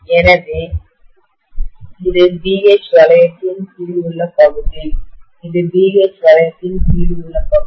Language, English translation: Tamil, So this is area under the BH loop, this is area under BH loop